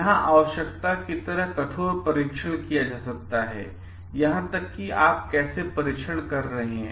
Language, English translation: Hindi, There could be like requirements of may be rigorous testing and retesting even how you do the testing